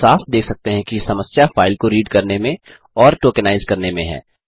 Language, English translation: Hindi, We can clearly see that the problem involves reading files and tokenizing